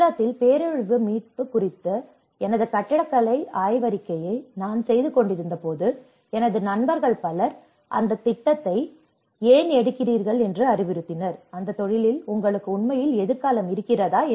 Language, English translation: Tamil, When I was doing my architectural thesis on disaster recovery in Gujarat, many of my friends advised why are you taking that project, do you really have a future in that profession